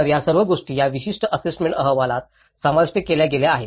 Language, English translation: Marathi, So, that is all been covered in this particular assessment report